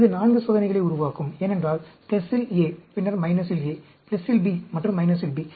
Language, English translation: Tamil, That will make up 4 experiments, because A at plus, and then A at minus, B at plus, and B at minus